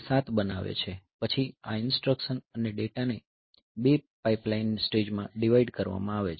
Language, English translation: Gujarati, So, that makes a 7 then these instruction and data they are divide divided into a 2 pipeline stages